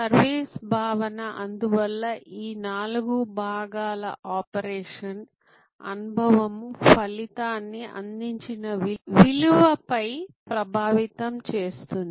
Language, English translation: Telugu, service concept will therefore, empress all these four parts operation experience outcome on the value provided